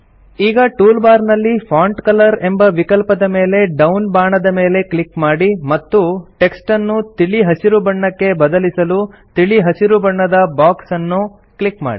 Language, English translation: Kannada, Now click on the down arrow in the Font Color option in the toolbar and then click on the light green box for applying the Light green colour to the the text